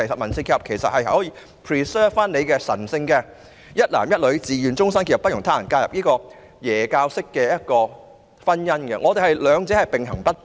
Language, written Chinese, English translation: Cantonese, 民事結合其實可以保存神聖的"一男一女自願終身結合，不容他人介入"的基督教式婚姻，兩者可以並行不悖。, Even with civil union it is actually still possible to preserve the sacred Christian marriage based on the voluntary union for life of one man and one woman to the exclusion of all others . The two can coexist